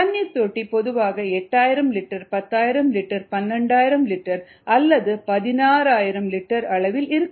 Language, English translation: Tamil, so this ah typically is either eight thousand liters, ten thousand liters, ah twelve thousand liters or sixteen thousand liters